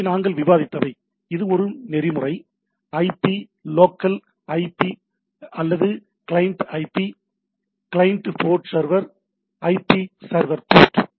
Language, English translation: Tamil, So, these are the as we have discussed, so which will have a protocol, IP local IP, or I say client IP client port server, IP server port